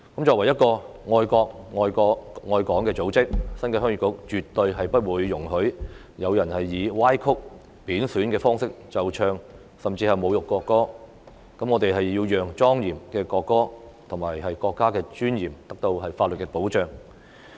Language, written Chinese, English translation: Cantonese, 作為愛國愛港的組織，新界鄉議局絕對不會容許有人以歪曲、貶損的方式奏唱，甚至侮辱國歌，我們要讓莊嚴的國歌及國家的尊嚴得到法律的保障。, As an organization that loves the country and Hong Kong the New Territories Heung Yee Kuk will absolutely not tolerate anyone who plays or sings the national anthem in a distorted or disrespectful manner or even insults the national anthem . We have to provide legal protection for the solemn national anthem and the dignity of the country